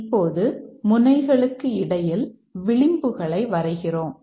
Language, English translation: Tamil, Now, the we draw the edges between the nodes